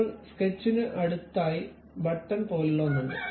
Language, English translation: Malayalam, Now, next to Sketch there is something like Features button